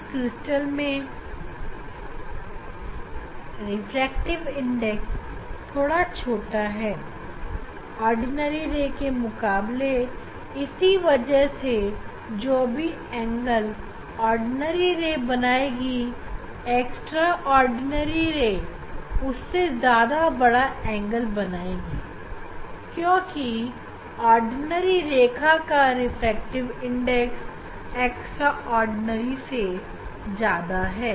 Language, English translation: Hindi, Now, refractive index is smaller in this crystal, refractive index is smaller, then the ordinary ray, so whatever with this, whatever with this, in this crystal whatever this ordinary ray will make angle externally extraordinary ray will make the higher angle because refractive index for O ray is higher than the e ray